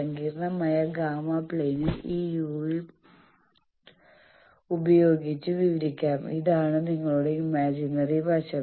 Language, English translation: Malayalam, Complex gamma plane can be described by this u v this is your imaginary side